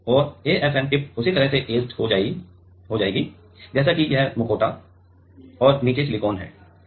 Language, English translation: Hindi, And AFM tip is etched by just like that; this is let us say the mask and below there is silicon